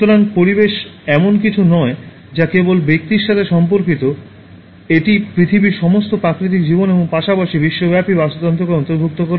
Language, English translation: Bengali, So, environment is not something that is only related to the individual, but it includes all the natural life on earth as well as the global ecosystem